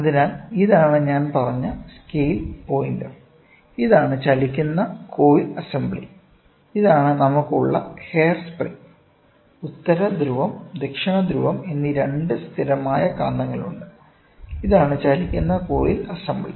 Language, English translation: Malayalam, So, this is the scale pointer which I said; this is the moving coil assembly, this is the hair spring which we have; there are the two permanent magnets north pole and south pole, moving coil assembly is this is the moving coil assembly, ok